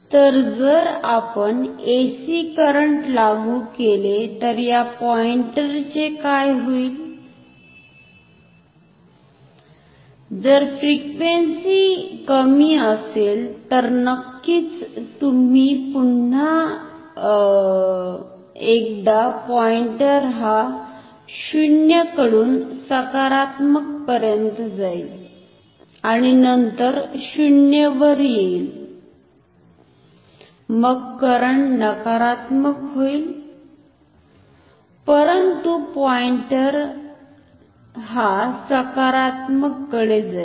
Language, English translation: Marathi, So, and what will happen to the pointer if we apply AC, if frequency is low then of course, the pointer will once again move from 0 to positive, and then comes back to 0, then current becomes negative, but the pointer will go towards the positive so, current minus pointer towards the right side